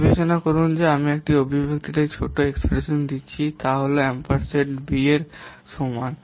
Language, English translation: Bengali, Consider that the expression, a given small expression is given A is equal to ampersion B